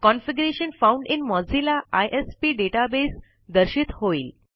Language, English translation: Marathi, The message Configuration found in Mozilla ISP database appears